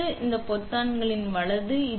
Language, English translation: Tamil, It is these buttons, right